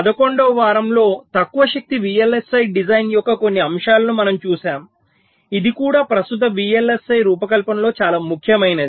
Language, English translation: Telugu, so during week eleven we looked at some of the aspects of low power vlsi design, which is also very important in present day vlsi design